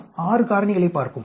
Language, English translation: Tamil, Let us look at 6 factors